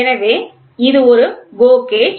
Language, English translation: Tamil, So, this is a GO gauge